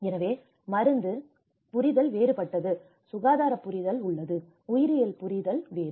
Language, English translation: Tamil, So, there is pharmaceutical understanding is different, there is a health understanding, there is a biological understanding is different